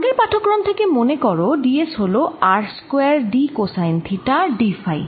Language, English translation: Bengali, recall from one of the previous lecture that d s is r square d cosine of theta d phi